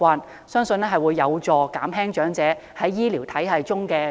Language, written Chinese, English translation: Cantonese, 我相信這會有助減輕長者對醫療服務的壓力。, I believe this will help reduce the healthcare pressure generated by elderly people